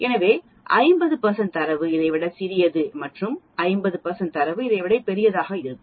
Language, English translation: Tamil, So 50 percent of the data will be smaller than this and 50 percent of the data will be larger than this